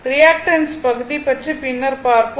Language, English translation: Tamil, Reactance part we will see later